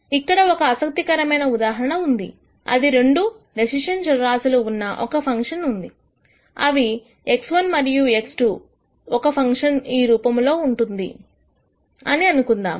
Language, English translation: Telugu, Here is an interesting example of a function where there are two decision variables let us say x 1 and x 2 and the function is of this form